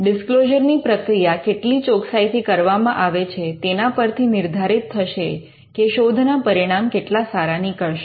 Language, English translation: Gujarati, Or how rigorous the disclosure process will be, will actually determine the quality of your search report